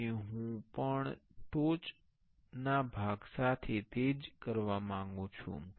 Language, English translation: Gujarati, So, I want to do the same with the top part also